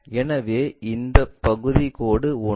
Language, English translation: Tamil, So, this part dash 1